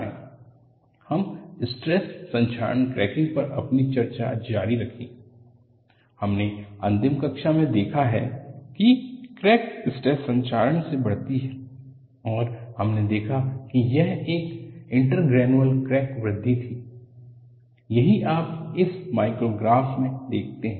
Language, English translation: Hindi, Let us continue our discussion on stress corrosion cracking, and we have looked at, in the last class, crack grows by a stress corrosion, and we saw that, it was an inter granular crack growth, that is, what you see in this micrograph